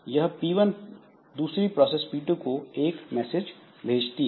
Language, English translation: Hindi, And P1 sends a message to another process P2